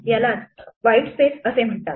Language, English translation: Marathi, These are what are called white space